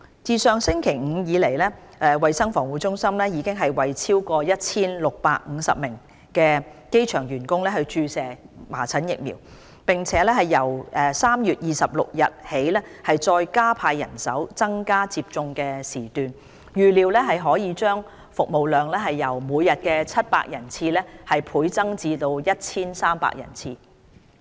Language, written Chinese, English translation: Cantonese, 自上星期五至今，衞生防護中心已為超過 1,650 名機場員工注射麻疹疫苗，並由3月26日起再加派人手及增加接種時段，預料可將服務量由每天700人次倍增至 1,300 人次。, Since last Friday CHP has provided measles vaccination to over 1 650 people working at the airport . Starting from 26 March CHP has deployed extra manpower and provided an additional time slot . It is expected that the daily service capacity would increase from 700 to 1 300 vaccinations